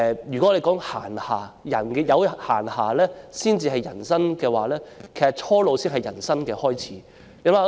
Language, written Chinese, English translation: Cantonese, 如果我們說人有閒暇才算有人生，其實初老才是人生的開始。, We say we have a life only if we have leisure time then young old is actually the beginning of life